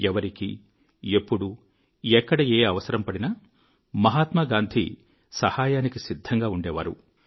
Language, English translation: Telugu, Whoever, needed him, and wherever, Gandhiji was present to serve